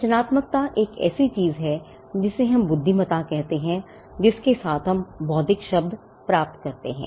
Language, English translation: Hindi, Now creativity can is something that overlaps with what we called intelligence and that is why where we get the term intellectual from